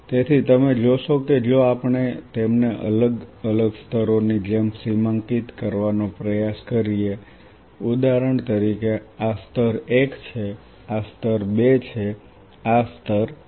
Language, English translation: Gujarati, So, you see that if we try to demarcate them as different layers say for example, this is layer 1, this is layer 2, this is a layer 3